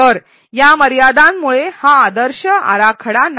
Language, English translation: Marathi, So, because of these limitations this is not the ideal design